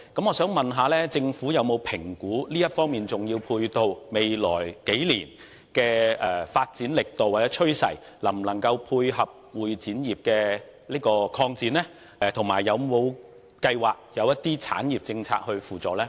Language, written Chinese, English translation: Cantonese, 我想問政府有否評估，這方面的重要配套設施在未來數年的發展力度或趨勢能否配合會展業的擴展，以及有否計劃推行一些產業政策來輔助呢？, May I ask the Government if it has assessed whether the momentum or trend of development of such important ancillary facilities in the next few years can dovetail with the expansion of the CE industry and also whether there are plans to implement some policies for the industry as a means of assistance?